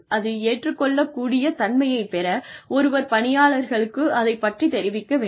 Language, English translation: Tamil, And, in order to get that acceptability, one has to inform the employees